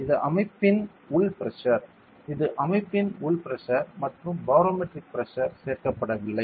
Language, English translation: Tamil, This is the internal pressure of the system; this is the internal pressure of the system and does not include barometric pressure